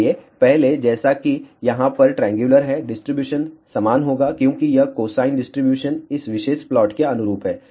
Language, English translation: Hindi, So, uniform as before it is over here triangular will be the distribution is like this cosine distribution corresponds to this particular plot here